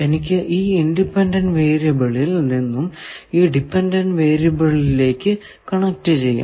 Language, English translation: Malayalam, That means, I will have to connect come from this independent variable to this dependent variable